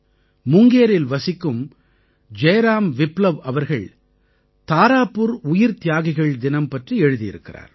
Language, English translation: Tamil, Jai Ram Viplava, a resident of Munger has written to me about the Tarapur Martyr day